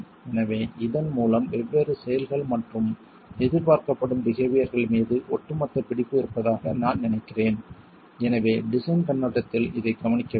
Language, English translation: Tamil, So, I think with this we have an overall hold on the different actions and expected behaviors and therefore what needs to be taken care of from the design perspective itself